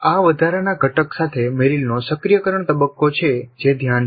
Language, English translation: Gujarati, This is activation phase of Merrill with an additional component which is attention